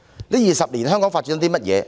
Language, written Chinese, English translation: Cantonese, 這20年來香港發展了甚麼呢？, What development was seen in Hong Kong in the past two decades?